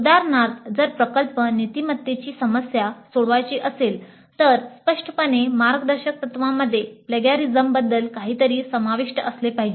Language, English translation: Marathi, For example, if the project is supposed to address the issue of ethics, then explicitly the guidelines must include something about plagiarism